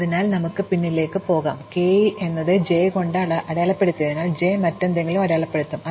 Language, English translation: Malayalam, So, we can go backward, so because k was mark by j, j would be mark by some other thing and so on